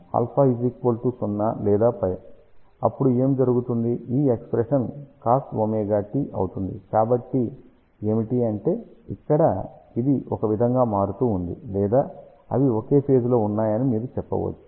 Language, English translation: Telugu, If alpha is equal to 0 or pi, then what will happen this expression will become cos omega t, so that means, this one here and this one they are kind of varying or you can say these are in the same phase